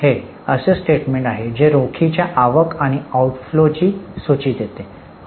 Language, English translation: Marathi, It is a statement which lists the cash inflows and outlaws